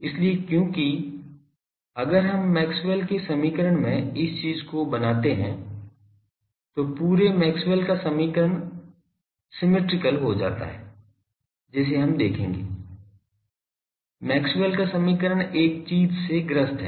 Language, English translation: Hindi, So, that because if we make the, this thing in the Maxwell’s equation, then the whole Maxwell’s equation becomes symmetrical that we will see; that Maxwell’s equation suffer from one thing